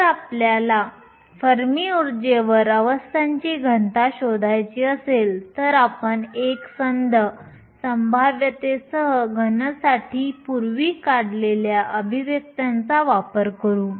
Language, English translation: Marathi, If you want to find the density of states at the Fermi energy we will make use of the expressions that we derived earlier for a solid with a uniform potential